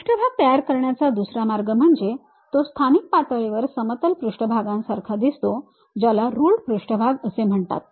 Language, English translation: Marathi, The other way of constructing surfaces, it locally looks like plane surfaces are called ruled surfaces